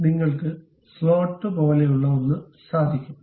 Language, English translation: Malayalam, If you are seeing, there is something like a slot